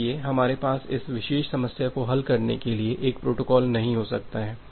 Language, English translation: Hindi, So, we cannot have one protocol to solve this particular problem